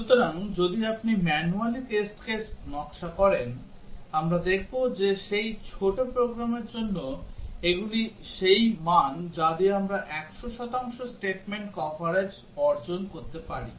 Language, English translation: Bengali, So, if you manually design test cases, we will see that for that small program, these are the values with which we can achieve 100 percent statement coverage